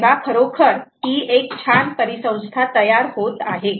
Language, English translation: Marathi, so it really is a nice ecosystem building up